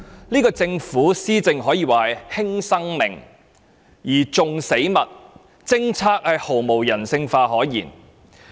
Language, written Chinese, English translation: Cantonese, 這個政府施政可說是"輕生命而重死物"，政策毫無人性可言。, The Government seems to value dead objects more than living beings . Its policies are not humanistic